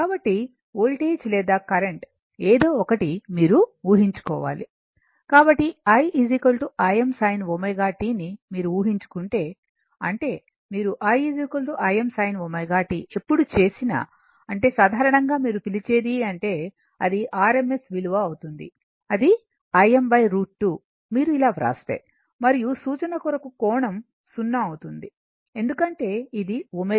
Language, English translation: Telugu, So, if you assume, i is equal to I m sin omega t before moving is that, whenever you make i is equal to I m sin omega t that means, that means in general your what you call, it will be rms value will be I m by root 2 I think if you write like this, and reference will be angle 0, because omega t